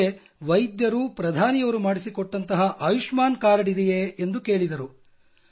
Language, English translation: Kannada, Then he said that there is a card of Ayushman which PM ji made